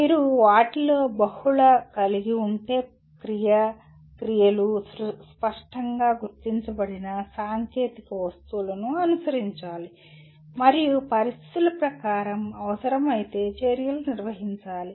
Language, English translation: Telugu, And the action verbs you can have multiple of them, should be followed by clearly identified technical objects and if required by conditions under which the actions have to be performed